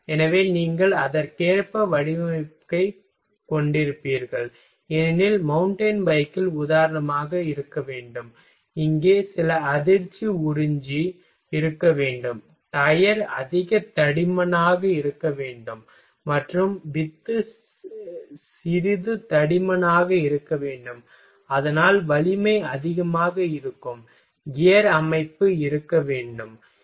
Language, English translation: Tamil, So, you will have design accordingly because in mountain bike there should be for example, there should be some shock absorber here, tire should be higher thicker tire and spore should be some thicker so, that strength will be high, gear system should be there ok